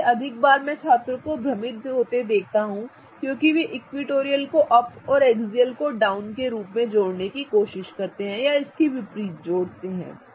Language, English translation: Hindi, So, more often I see students confused because they try to associate equatorial as up and exhale is down or vice versa